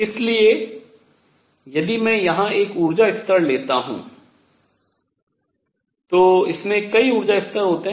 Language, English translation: Hindi, So, if I take an energy level here, it has in it many many energy levels